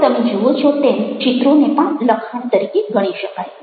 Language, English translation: Gujarati, now you see that images can be treated as texts